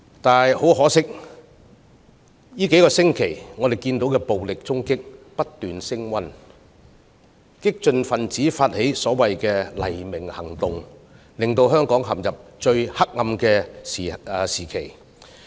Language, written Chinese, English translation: Cantonese, 不過，可惜的是，據我們過去數星期所見，暴力衝擊不斷升溫，激進分子發起所謂的"黎明行動"，令香港陷入最黑暗的時期。, But regrettably the continued escalation of violent protests as we have seen over the past few weeks and also the Operation Dawn started by certain radical individuals have plunged Hong Kong into its darkest days ever